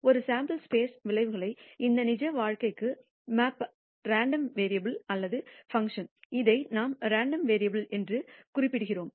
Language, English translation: Tamil, The random variable or function that maps the outcomes of a sample space to this real life that is what we are referring to as a random variable